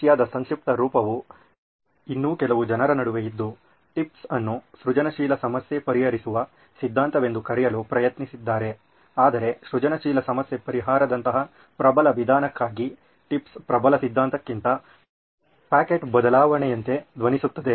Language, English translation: Kannada, The Russian acronym still stays in between some people did try to call it tips as theory of inventive problem solving TIPS, but for a powerful method like for inventive problem solving, TIPS sound it more like pocket change than a powerful theory